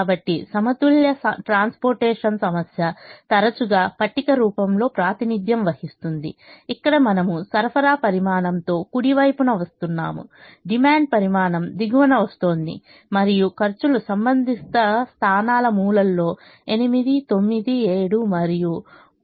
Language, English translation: Telugu, so a balanced transportation problem is often represented in the form of a table that we have shown here, with the supply quantity is coming on the right hand side, the demand quantity is coming on the bottom and the costs are shown in the corners of the corresponding positions: eight, nine, seven and so on